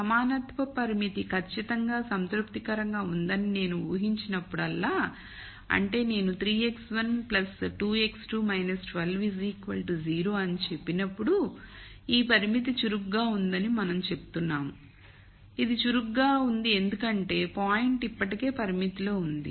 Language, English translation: Telugu, So, whenever I assume that an equality constraint is exactly satis ed; that means, when I say 3 x 1 plus 2 x 2 minus 12 equals 0, then we say this constraint is active it is active because the point is already on the constraint